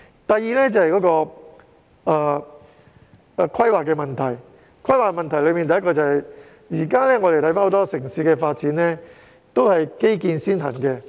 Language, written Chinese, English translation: Cantonese, 第二點有關規劃，而當中的首要問題是，我們看到香港的城市發展均是以基建先行。, The second point is about planning and the most important issue we see is that the urban development of Hong Kong is implemented with infrastructure first